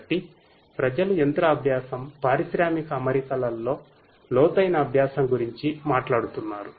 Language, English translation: Telugu, So, people are talking about machine learning, deep learning in the industrial settings